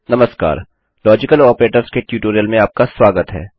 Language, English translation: Hindi, Hello and welcome to a tutorial on Logical Operators